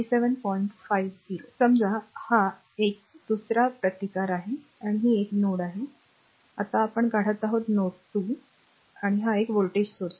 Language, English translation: Marathi, Suppose this is your resistance another one, and this is one, this is your node 1, just now we draw this is node 2, and this is the voltage source, right